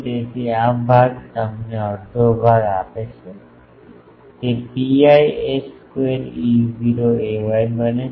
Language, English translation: Gujarati, So, this part gives you half so, it becomes pi a square E not a y